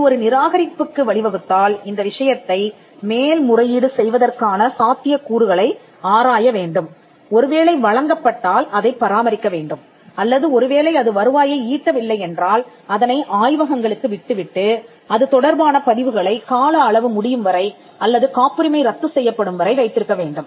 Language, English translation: Tamil, It may lead to a rejection or a grant; if it lead to a rejection it should explore the options to take the matter an appeal and if it results in the grant to maintain it or if it is not accruing revenue then at some point to leave it to labs and keep this record up until the term expires or the patent is revoked